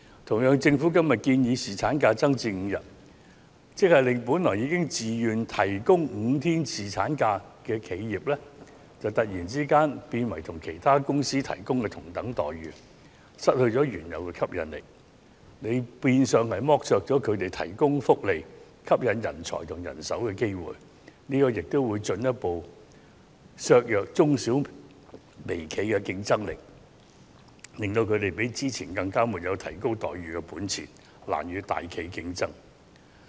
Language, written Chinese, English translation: Cantonese, 同樣地，政府今天建議把侍產假增至5天，便會令原本自願提供5天侍產假的企業突然變成與其他公司提供的待遇相同，失去原有的吸引力，變相剝削了他們提供福利以吸引人才和人手的機會，亦會進一步剝弱中小企和微企的競爭力，使他們進一步失去提高待遇的本錢，難與大企業競爭。, Similarly with the Governments proposal of increasing the paternity leave duration to five days today those enterprises which have voluntarily offered five days of paternity leave will become no different from other companies as they offer the same employee benefits and the former companies will therefore lose their original appeal . It will literally rip them of the opportunity to attract talents and manpower through the provision of this employee benefit and will further undermine the competitiveness of SMEs and micro enterprises . This will result in their further loss of room for increasing their employee benefits making it even more difficult for them to compete with large enterprises